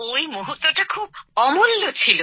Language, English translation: Bengali, That moment was very good